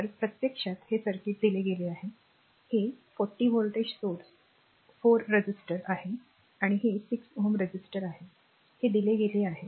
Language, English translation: Marathi, So, this is actually the circuit is given, this is the 40 volt source 4 ohm resistor and this is 6 ohm resistor these are the polarity is given